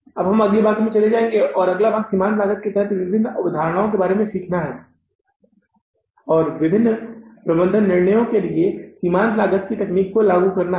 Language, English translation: Hindi, Now we will move to the next part and that next part is learning about the different concepts under the marginal costing and applying the technique of marginal costing for different management decisions in the firm